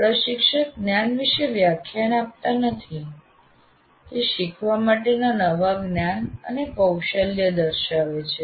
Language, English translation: Gujarati, We are not saying lecturing about the knowledge, demonstrating the new knowledge and skill to be learned